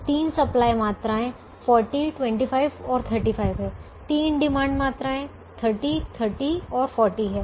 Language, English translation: Hindi, the three demand quantities are thirty, thirty and forty